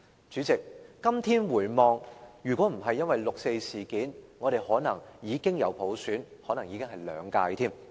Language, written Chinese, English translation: Cantonese, 主席，今天回望，如果不是因為六四事件，我們可能已經有普選，還可能是兩屆。, President in retrospect were it not for the 4 June incident we probably would have implemented universal suffrage and it might even have taken place for two terms